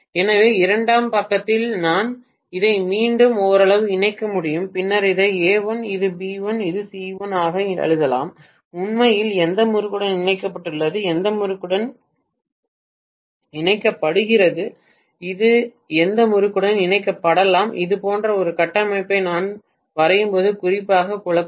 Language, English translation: Tamil, So in the secondary side I can simply connect again somewhat like this, and then I may write this that A dash, this as B dash and this as C dash and what is actually coupled with which winding, which winding is coupled with which winding that can be a little confusing especially when we draw a configuration somewhat like this